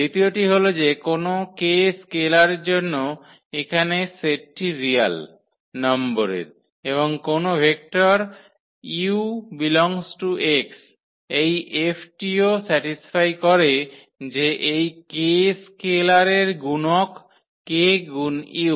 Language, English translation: Bengali, The second one for any scalar k here from the set of real numbers and a vector any vector u from this X this F should also satisfies that F of the multiplication of this k scalar multiplication of this k to u